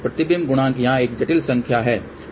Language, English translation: Hindi, Reflection Coefficient here is a complexed number